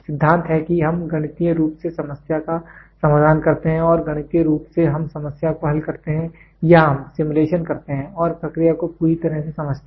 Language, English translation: Hindi, Theory is we mathematically solve the problem the mathematically we solve the problem or we do simulation and understand the process completely